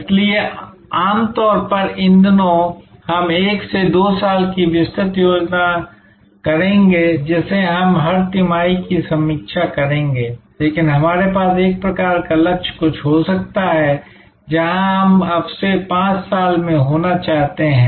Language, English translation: Hindi, So, normally these days we will do 1 to 2 years detailed plan which we will review every quarter, but we may have a kind of a Lakshya some aim, where we want to be in 5 years from now